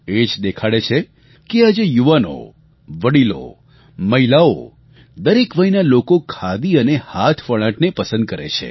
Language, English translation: Gujarati, One can clearly see that today, the youth, the elderly, women, in fact every age group is taking to Khadi & handloom